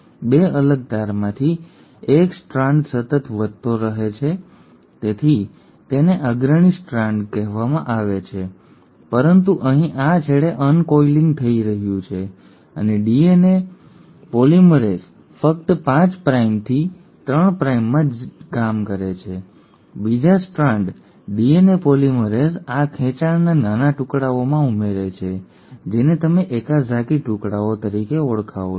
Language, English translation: Gujarati, Of the 2 separated strands, one strand just grows continuously so that is called as the leading strand but since here the uncoiling is happening at this end and the DNA polymerase only works in 5 prime to 3 prime, for the other strand the DNA polymerase adds these stretches in small pieces, which is what you call as the Okazaki fragments